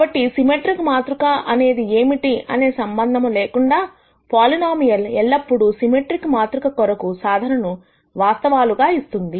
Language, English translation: Telugu, So, irrespective of what that symmetric matrix is, this polynomial would always give real solutions for symmetric matrices